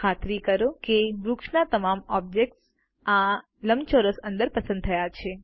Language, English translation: Gujarati, Ensure all the objects of the tree are selected within this rectangle